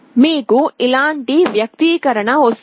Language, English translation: Telugu, You will be getting an expression like this